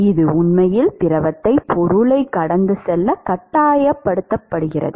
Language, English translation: Tamil, Because there is an external pump which is actually forcing the fluid to flow past the object